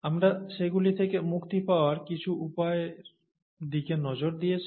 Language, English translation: Bengali, We looked at some means of getting rid of them